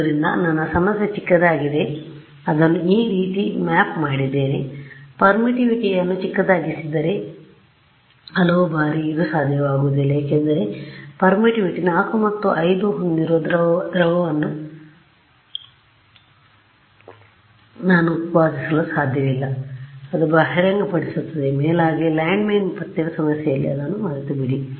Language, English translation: Kannada, So, my problem has become lesser I have mapped it sort of this problem I made the permittivity smaller ok, but many times this is not going to be possible because I cannot produce at will a liquid which has permittivity 4 or 5 hardly it reveal right, moreover in the landmine detection problem, forget it